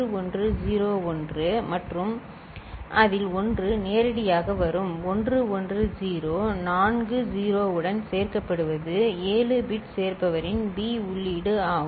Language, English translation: Tamil, 1101 and out of that this 1 will come directly and 110 appended with four 0’s is the 7 bit adder’s B input